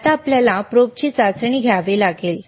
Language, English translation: Marathi, Now, we have to test the probe